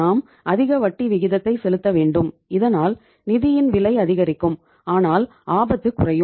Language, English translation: Tamil, That you have to pay the higher interest rate your financial cost will increase but the risk will go down